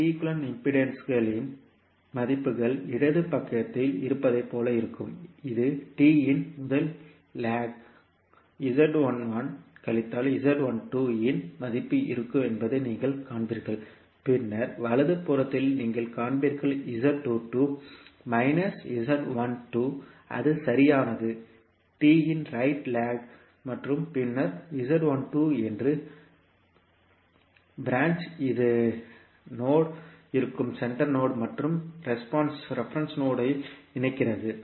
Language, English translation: Tamil, So the values of impedances for T equivalent would be like in the left side you will see there will be the value of Z11 minus Z12 that is the first leg of T, then on the right you will see that is Z22 minus Z12 that is the right leg of the T and then the branch that is Z12, which is connecting the node which is at the centre and the reference node